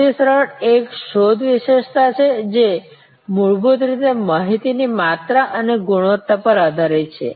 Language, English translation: Gujarati, The easier one is the search attribute, which are fundamentally based on quantity and quality of information